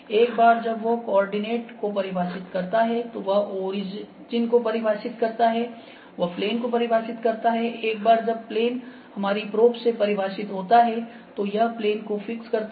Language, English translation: Hindi, Once he defines the coordinate, he defines the origin, he defines the plane once the plane is defined by our probe; so, it has fix that plane ok